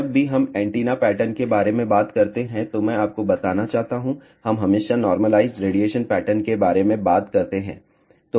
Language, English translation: Hindi, I just want to tell you whenever we talk about antenna pattern; we always talk about normalized radiation pattern